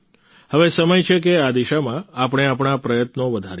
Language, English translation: Gujarati, Now is the time to increase our efforts in this direction